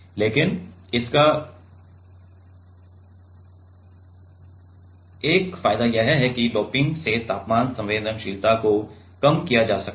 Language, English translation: Hindi, But one advantage of this take another advantage of this technique is temperature sensitivity can be reduced by doping